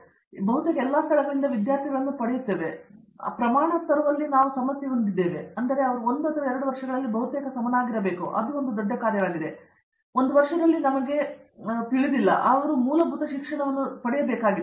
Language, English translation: Kannada, So, that do we get students from almost all the places and then we have the problem of bringing that standard of, so that they will be almost equal in 1 or 2 years and that’s a gigantic task, in one year it’s not possible we know, but then we have to give some courses which will be very basic to them